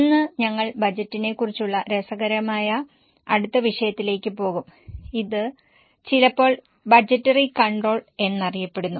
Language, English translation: Malayalam, Today we will go to next very interesting topic that is on budgeting, sometimes called as budgetary control